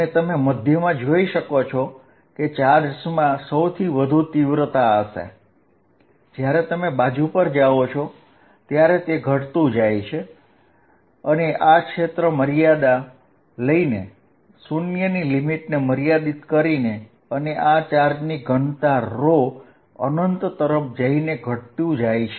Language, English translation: Gujarati, And you can see in the middle the charges are going to have largest magnitude and it diminishes as you go to the side and this region is hollow by taking appropriate limits, limit a going to 0 and this charge density rho going to infinity